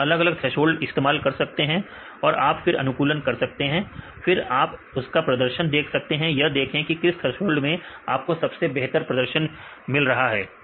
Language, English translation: Hindi, So, we can use your different thresholds and you can optimize, you see the performance and which one is the best to attain the best performance right